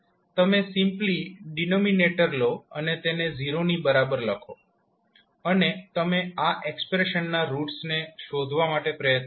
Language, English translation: Gujarati, You will simply take the denominator and equate it to 0 and you try to find out the roots of this particular expression